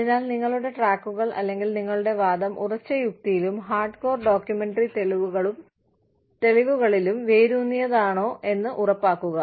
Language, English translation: Malayalam, And so, please make sure that, your tracks are, you know, your argument is rooted, in solid logic, and hard core documentary evidence